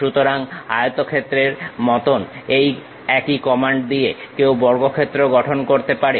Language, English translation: Bengali, So, same command like rectangle one can construct squares also